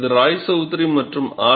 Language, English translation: Tamil, This is by Roychowdhury and R